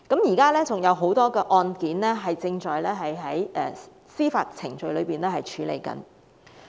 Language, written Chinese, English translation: Cantonese, 現時還有很多案件正在司法程序處理中。, At present many of these cases are still pending judicial process